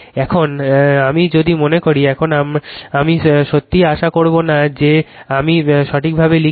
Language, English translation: Bengali, Now, if I recall, now I will not really hope I write correctly